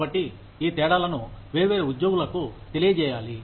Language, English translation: Telugu, So, these differences have to be communicated, to the different employees